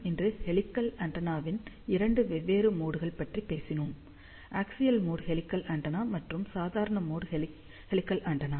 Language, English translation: Tamil, Today, we talked about two different modes of helical antenna, axial mode helical antenna and normal mode helical antenna